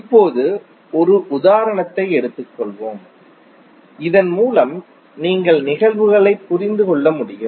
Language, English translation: Tamil, Now let’s take one example, so that you can understand the phenomena